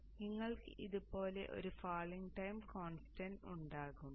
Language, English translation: Malayalam, So it will have a falling time constant like this